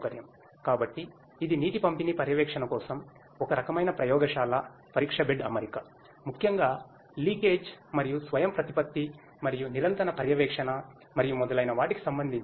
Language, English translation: Telugu, So, this is a kind of lab test bed setup for water distribution monitoring particularly with respect to leakage and autonomous and continuous monitoring and so on